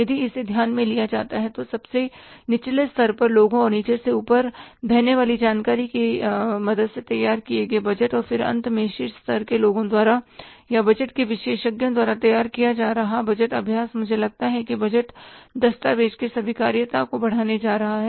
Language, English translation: Hindi, If he is taken into consideration then the budgets prepared with the help of the people at the lowest level and the information flowing from the bottom to top and then finally budget being prepared by the people at the top level or by the experts in the budgetary exercise, I think that is going to increase the acceptability of the budget document